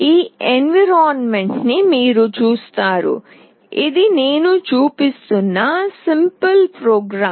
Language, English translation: Telugu, You see this is the environment; this is the simple program that I am showing